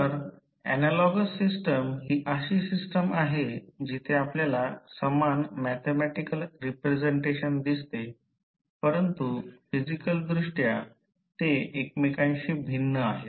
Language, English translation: Marathi, So, analogous systems are those systems where you see the same mathematical representation but physically they are different with each other